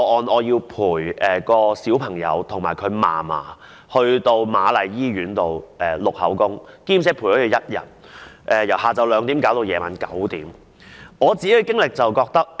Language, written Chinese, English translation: Cantonese, 我要陪伴一位小朋友及其祖母到瑪麗醫院錄取口供，陪伴了1天，由下午2時到晚上9時才完成。, I had to accompany a child and his grandmother to take statement at Queen Mary Hospital . I stayed with them for almost one day starting from 2col00 pm to 9col00 pm in the evening